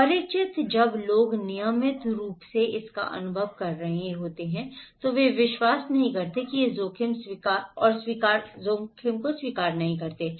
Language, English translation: Hindi, Familiarity, when people are experiencing this in a regular basis they don’t believe or accept the risk